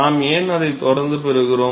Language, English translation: Tamil, Why are we getting it constant